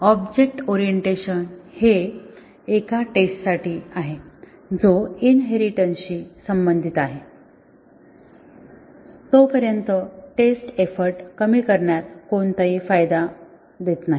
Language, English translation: Marathi, So, object orientation, it is for a testing is concerned does not give any benefit in reduction of the testing effort as far as inheritance is concerned